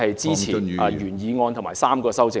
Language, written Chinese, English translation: Cantonese, 支持原議案及3項修正案。, I support the original motion and all the three amendments